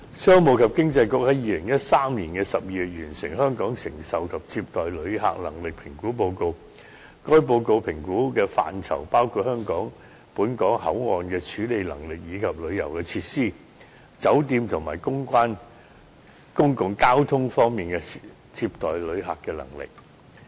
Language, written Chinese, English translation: Cantonese, 商務及經濟發展局在2013年12月完成《香港承受及接待旅客能力評估報告》，該報告評估的範疇包括本港口岸處理能力，以及旅遊設施、酒店及公共交通等方面的接待旅客的能力。, In December 2013 the Commerce and Economic Development Bureau completed the Assessment Report on Hong Kongs Capacity to Receive Tourists . The areas assessed include the handling capacity of control points the receiving capacity of tourism facilities the accommodation capacity of hotels and the carrying capacity of public transport networks